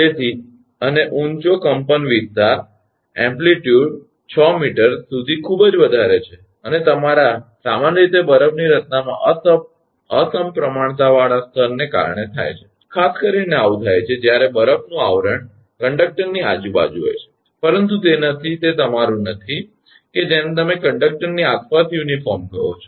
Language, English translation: Gujarati, So, and high amplitude, amplitude is very high up to 6 meter right, and are your generally caused by asymmetrical layer of ice formation, particularly this happens that when ice coating are there around the conductor, but it is not it is not your what you call uniform around the conductor